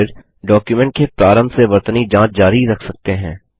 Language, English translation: Hindi, You can then choose to continue the spellcheck from the beginning of the document